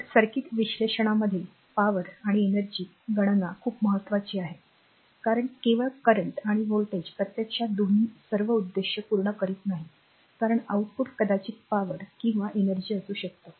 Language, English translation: Marathi, So, power and energy calculation are very important in circuit analysis because only current and voltage actually both do not serve all the purpose because output maybe power